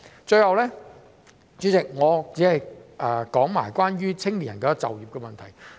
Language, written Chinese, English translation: Cantonese, 主席，最後我只想談談青年人的就業問題。, Lastly President I only wish to talk about the employment of young people